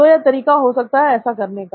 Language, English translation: Hindi, So this is one way of doing it